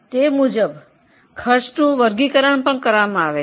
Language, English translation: Gujarati, According to that the costs are also classified